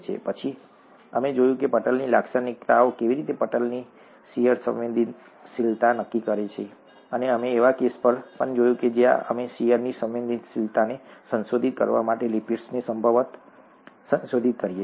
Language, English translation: Gujarati, Then we saw how the membrane characteristics determine membrane shear sensitivity, and we also looked at a case where we could possibly modify the lipids to modify the shear sensitivity